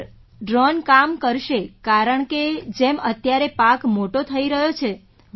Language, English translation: Gujarati, Sir, the drone will work, when the crop is growing